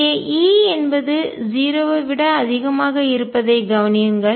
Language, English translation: Tamil, Notice that e is greater than 0